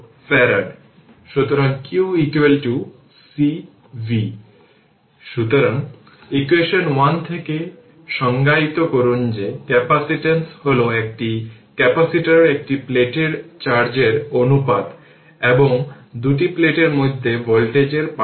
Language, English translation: Bengali, So, from equation 1, one may we may define that capacitance is the ratio of the charge on one plate of a capacitor to the voltage difference between the two plates right